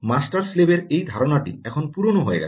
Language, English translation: Bengali, this concept of master slave is now out